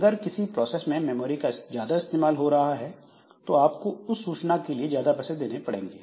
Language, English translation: Hindi, So if a process uses more memory it will be have, it has the user has to pay more for the information